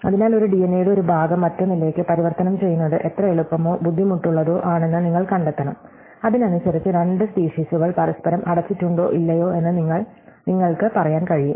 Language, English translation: Malayalam, So, you want to find out how easy or difficult it is to transform one piece of DNA to another and depending on that we can tell whether two species are closed to each other or not